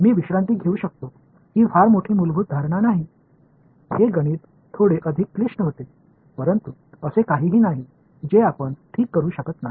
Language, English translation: Marathi, this is not a very fundamental assumption I can relax it, the math becomes a little bit more complicated, but nothing that we cannot handle ok